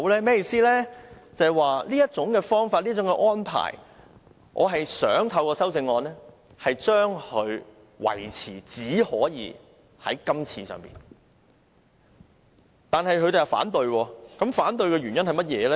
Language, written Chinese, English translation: Cantonese, 便是對於這種方法和安排，我想透過修正案訂明只可以在今次適用，但他們反對，反對的原因是甚麼呢？, I am saying that regarding the present approach and arrangement I wish to restrict their application to this time only via my amendment . However they oppose it . Why?